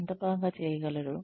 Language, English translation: Telugu, How much they can do